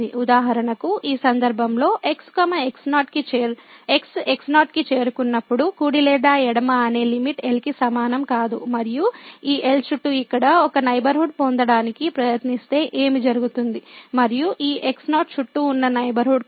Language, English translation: Telugu, For example, in this case as approaches to naught, the limit whether right or the left is not equal to and what will happen if we try to get a neighborhood around this here and whether the corresponding neighborhood around this naught will exist or not